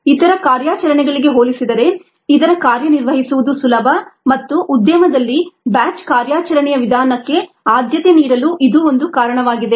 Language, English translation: Kannada, it is easy to operate compare to the other modes, and that is one of the reasons why it is preferred in the industry, the batch mode of operation